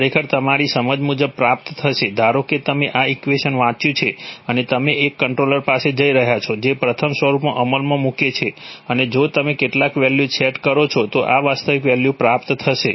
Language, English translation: Gujarati, Are, will be actually obtained according to your understanding, suppose you have read this equation and you are going to a controller which implements in the first form and if you set some values then these the actual values will be realized are, will not be equal, so that needs to be remembered all right